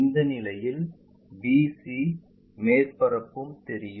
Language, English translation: Tamil, In this case c, bc surface also visible